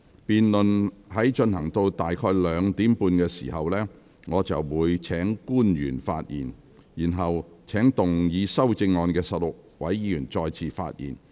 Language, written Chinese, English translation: Cantonese, 辯論進行至今天下午2時30分左右，我便會請官員發言，然後請動議修正案的16位議員再次發言。, When the debate proceeds to around 2col30 pm today I will call upon the public officers to speak and afterwards I will call upon the 16 Members who have proposed amendments to speak again